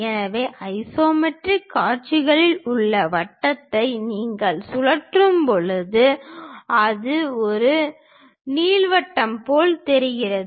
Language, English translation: Tamil, So, in isometric views your circle when you rotate it, it looks like an ellipse